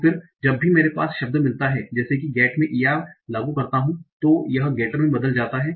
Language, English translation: Hindi, So, whenever I have a word like get, I apply ER, it converts to getter